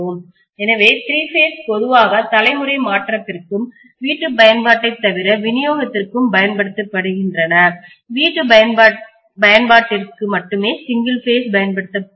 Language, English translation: Tamil, So three phase is very very commonly used for generation transmission and as well as distribution except for domestic application, only for domestic application we are going to use single phase, right